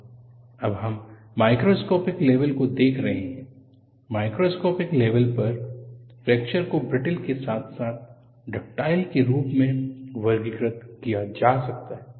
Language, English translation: Hindi, We are now looking at the microscopic level; at the microscopic level, the fracture can be classified as brittle as well as ductile